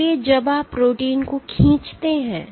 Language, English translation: Hindi, So, when you pull up the protein